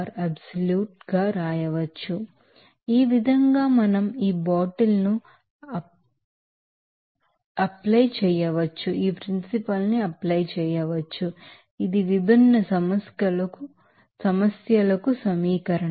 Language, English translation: Telugu, So, in this way we can apply this bottle is equation for the different problems